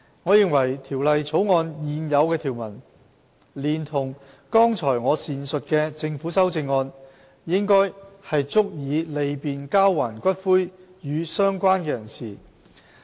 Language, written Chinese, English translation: Cantonese, 我認為《條例草案》的現有條文，連同剛才我所闡述的政府修正案，應足以利便交還骨灰予"相關人士"。, I consider the existing provisions in the Bill together with the amendments proposed by the Government should be sufficient to facilitate a related person in claiming the return of ashes